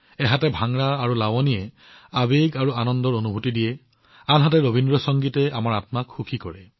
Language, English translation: Assamese, If Bhangra and Lavani have a sense of fervor and joy, Rabindra Sangeet lifts our souls